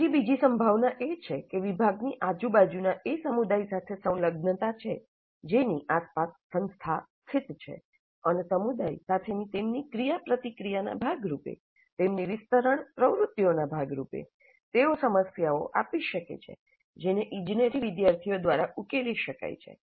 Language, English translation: Gujarati, Yet another possibility is that the department has an engagement with the community around which the institute is located and as a part of their activities of interaction with the community, as a part of their extension activities, they may come up with problems which need to be solved by the engineering students